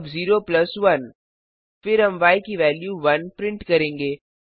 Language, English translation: Hindi, 0 plus 1 is 1 We print the value as 1